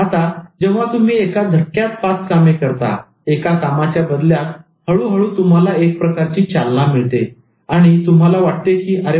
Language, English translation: Marathi, Now, once you do five jobs at one go, at the cost of this one, and then slowly you will gain some kind of momentum and you feel that, oh, now I can do this also